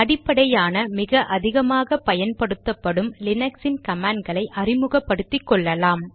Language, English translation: Tamil, In this tutorial we will make ourselves acquainted with some of the most basic yet heavily used commands of Linux